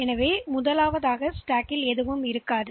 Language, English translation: Tamil, So, so at the beginning there is nothing in the stack